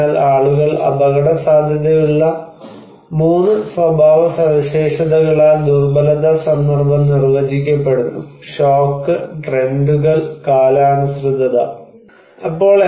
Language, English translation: Malayalam, So, vulnerability context is defined with 3 characteristics that people are at vulnerable because shock, trends, and seasonality